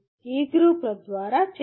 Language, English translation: Telugu, Activities through e groups